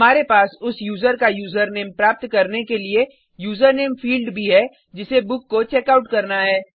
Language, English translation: Hindi, We also have a username field to get the username of the user who has to checkout the book